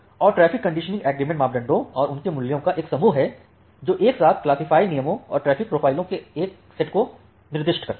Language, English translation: Hindi, And the traffic conditioning agreement is a set of parameters and their values which together specify a set of classifier rules and traffic profile